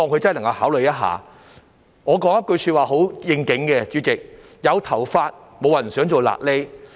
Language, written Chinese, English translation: Cantonese, 主席，我想說一句很應景的話："有頭髮，沒有人想做瘌痢。, President I wish to quote a saying that suits the occasion very well Nobody with a head of hair will want to look bald